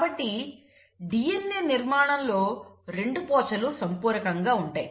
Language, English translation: Telugu, So the DNA structure is also, the 2 strands are complimentary